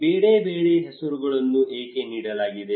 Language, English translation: Kannada, Why they are given different names